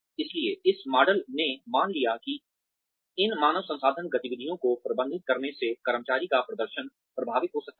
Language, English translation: Hindi, So, this model assumed that, managing these HR activities could influence, employee performance